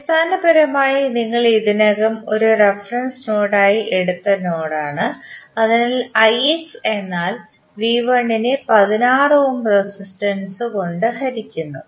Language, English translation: Malayalam, That is basically the node you have already taken as a reference node, so the I X would be V 1 divided by the 16 ohm resistance, so V 1 by 16 is I X